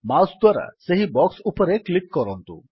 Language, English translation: Odia, Click on this box with the mouse